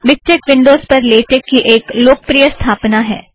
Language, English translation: Hindi, Miktex is a popular installation of latex for windows